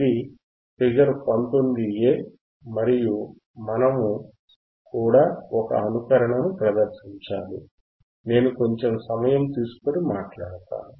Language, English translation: Telugu, This is figure 19 a right aand the wwe have also have to perform a simulation, that I will talk it talk in a second